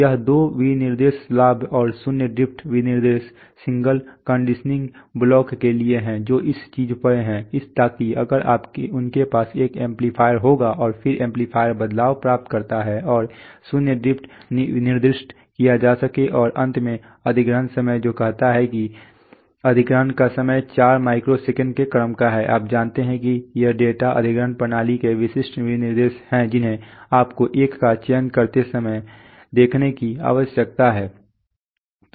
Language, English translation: Hindi, These, thing, this these two specification gain and zero drift specifications are for the signal conditioning block which is there in the this thing, so that if they will have an amplifier and then amplifier gain variation and zero drift can be specified and finally the acquisition time which says that the acquisition time is of the order of 4 micro seconds, you know so these are typical specifications of a data acquisition system which you need to look at when you select 1